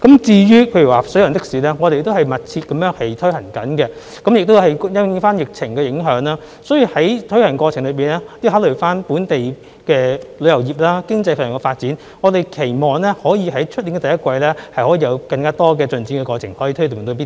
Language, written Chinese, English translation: Cantonese, 至於水上的士方面，我們也在積極推行，但由於疫情的影響，而在推行的過程中亦要考慮本地的旅遊業和經濟發展，我們期望可於明年第一季推動更多的進展。, As regards water taxi service we are also pressing it ahead proactively . Yet due to the impact of the epidemic and the need to take into account the local tourism industry as well as economic development in the process we hope that more progress can be made in the first quarter of next year